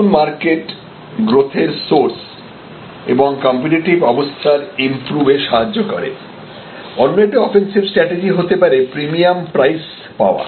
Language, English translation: Bengali, And new markets are new source of growth and improving competitive position another way of offensive strategy is achieve price premium